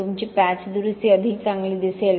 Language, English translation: Marathi, Your patch repair would look better